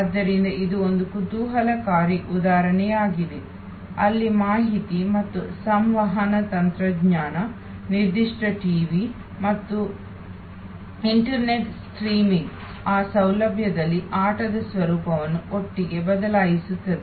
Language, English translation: Kannada, So, this is an interesting example, where information and communication technology particular TV and internet streaming at that facilities have change the nature of the game all together